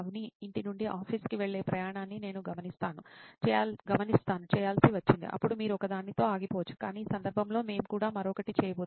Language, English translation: Telugu, Avni’s journey from home to office is what I had to track, then you can stop with just one but in this case we are also going to do another